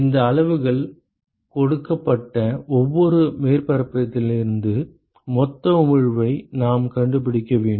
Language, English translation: Tamil, We need to find out the total emission from every surface given these quantities